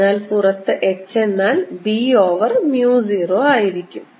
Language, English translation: Malayalam, so h outside is nothing but b over mu zero